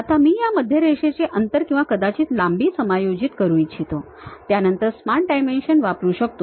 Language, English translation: Marathi, Now, I would like to adjust this center line distance or perhaps length, then Smart Dimensions I can use it